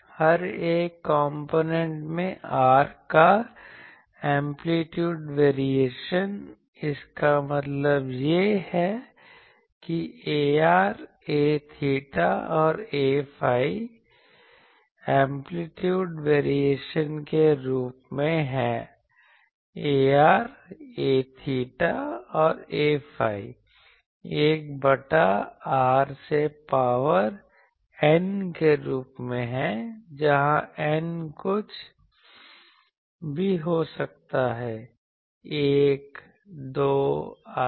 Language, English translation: Hindi, The amplitude variation of R in each component; that means, in A r, A theta and A phi is of the form Amplitude variation in A r A theta A phi is of the form 1 by r to the power n; where, N may be anything 1, 2 etc